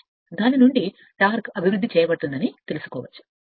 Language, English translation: Telugu, From that you can find out that torque will be developed right